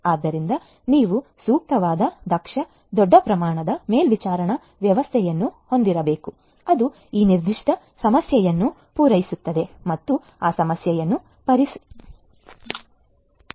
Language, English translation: Kannada, So, you need to have you know suitable efficient large scale monitoring system that will cater to this particular problem and an addressing that problem